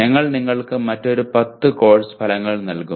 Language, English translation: Malayalam, We will give you another 10 course outcomes